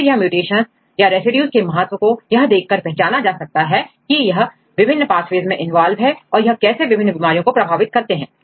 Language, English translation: Hindi, And then they relate how these mutations are or these residues are important, where they are involved in different pathways and how they are influencing the different diseases